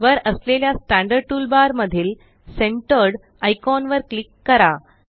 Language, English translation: Marathi, Click on Centered icon in the Standard toolbar at the top